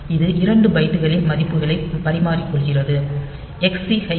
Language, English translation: Tamil, So, this exchanges the values of 2 bytes so, XCH a comma 30 hex